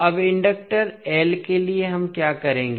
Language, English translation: Hindi, Now, for the inductor l what we will do